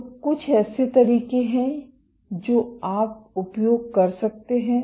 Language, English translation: Hindi, So, what are some of the modes that you can use